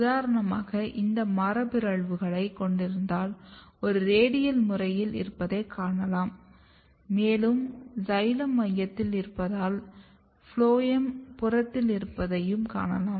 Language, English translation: Tamil, For example, if you look some of the mutants if you have this mutants you can see that there is a radial pattern and you can see that xylem is in the center and phloem is the peripheral